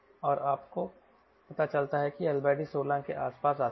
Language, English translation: Hindi, and you find that l by d comes to around sixteen, right